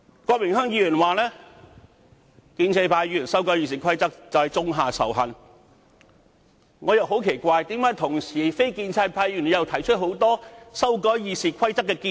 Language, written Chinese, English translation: Cantonese, 郭榮鏗議員說，建制派議員修訂《議事規則》種下仇恨，我感到很奇怪，那為何非建制派議員亦同時提出了多項修訂《議事規則》的建議？, Mr Dennis KWOK has accused pro - establishment Members of sowing hatred by proposing amendments to RoP . I find it very strange and wonder why non - establishment Members have likewise proposed a number of amendments to RoP